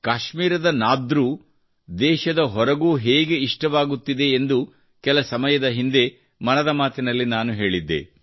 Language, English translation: Kannada, Some time ago I had told you in 'Mann Ki Baat' how 'Nadru' of Kashmir are being relished outside the country as well